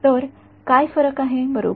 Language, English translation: Marathi, So, what differentiates right